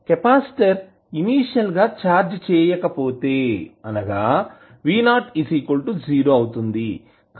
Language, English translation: Telugu, If capacitor is initially uncharged that means that v naught is 0